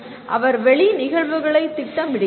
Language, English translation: Tamil, He plans external events